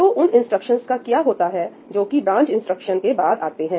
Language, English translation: Hindi, So, what happens to all these instructions which come after the branch instruction